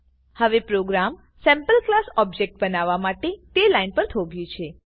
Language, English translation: Gujarati, The program has now stopped at the line to create a SampleClass object